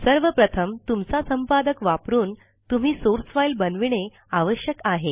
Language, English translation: Marathi, The first thing you have to do is to create a source file using your editor